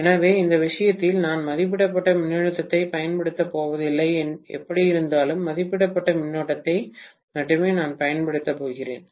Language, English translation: Tamil, So, in this case I am not going to apply rated voltage anyway, I am going to apply only rated current